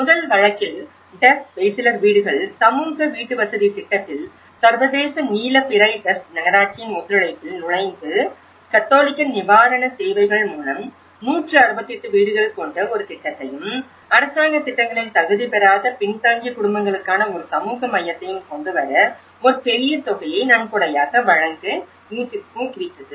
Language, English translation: Tamil, In the first case, Duzce, Beyciler houses, social housing project, the international blue crescent entered into a cooperation of the municipality of the Duzce and encouraged the Catholic Relief Services to donate about a huge sum of amount to realize a project of 168 houses and a community centre for disadvantaged families, who were not qualified in the government schemes